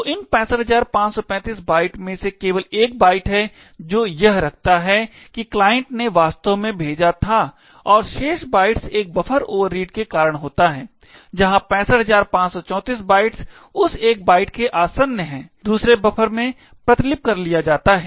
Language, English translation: Hindi, So, out of these 65535 bytes there is only one byte which contains what the client had actually sent and the remaining bytes is due to a buffer overread where 65534 byte adjacent to that one byte is copied into the buffer